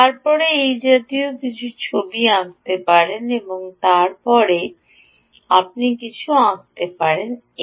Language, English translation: Bengali, ok, then you can draw something like this and then you can draw something like this